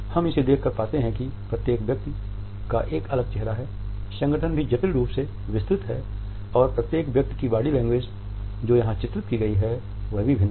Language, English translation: Hindi, We can look at it and find that each person has a distinct face, the outfit is also intricately detailed and the body language of each person who has been painted here is dissimilar